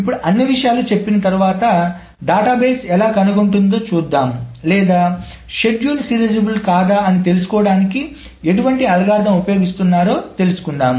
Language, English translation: Telugu, Now having said all of these things, let us see that how does the database find out or whether what is an algorithm to find out whether a schedule is serializable or not